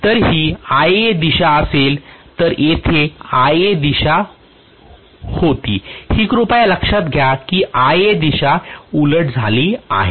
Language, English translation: Marathi, So this will be the Ia direction whereas here the Ia direction was this please note that Ia direction has reversed